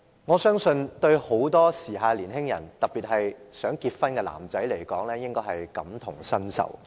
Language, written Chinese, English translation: Cantonese, 我相信很多時下年青人，特別是想結婚的男士應該感同身受。, I trust that nowadays many young people particularly those who want to get married do share the same feeling